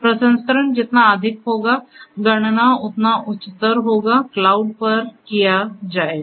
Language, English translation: Hindi, The higher in processing, higher in computation will be done will be done at the cloud